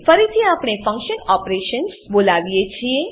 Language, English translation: Gujarati, Again we call function operations